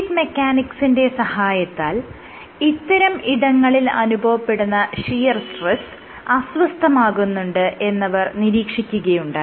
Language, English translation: Malayalam, So, with the help of fluid mechanics it has been demonstrated, that the type of shear stresses at these locations is perturbed